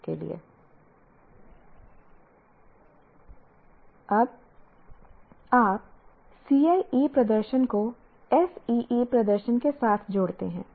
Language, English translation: Hindi, Now what you do is you combine the CIE performance with SEE performance